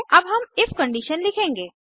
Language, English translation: Hindi, Now we shall write the if conditions